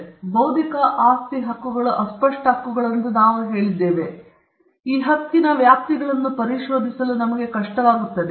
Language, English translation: Kannada, Now, we said that intellectual property rights are intangible rights, and it is sometimes difficult for us to ascertain the contours of this right, the boundaries of this right